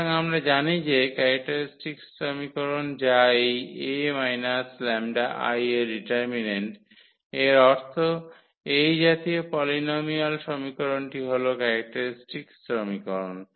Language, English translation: Bengali, So, we know what is the characteristic equation that is the determinant of this A minus lambda I; meaning this such polynomial equation is the characteristic equation